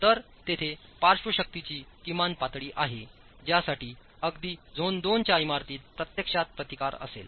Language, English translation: Marathi, So, there is a minimum level of lateral force for which even a zone 2 building should actually have resistance for